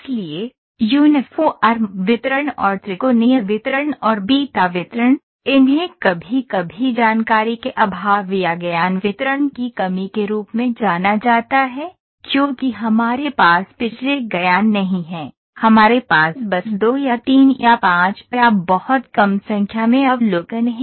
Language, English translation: Hindi, So, Uniform Distribution and Triangular Distribution and Beta Distribution these are sometimes known as the lack of information or lack of knowledge distributions, because we do not have much past knowledge we just have two or three or five or a very few number of observations